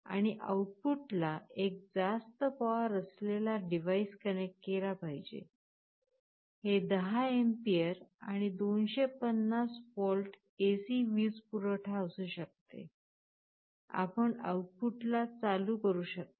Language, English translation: Marathi, And on the output side, you are supposed to connect a higher power device, this can be 10 ampere and up to 250 volt AC power supply, you can switch ON the output side